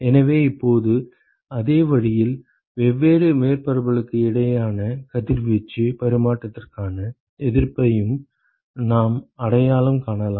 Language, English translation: Tamil, So, now, in a similar way we could also identify resistances for radiation exchange between different surfaces ok